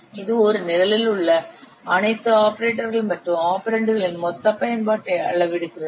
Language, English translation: Tamil, It quantifies the total usage of all operators and operands in the program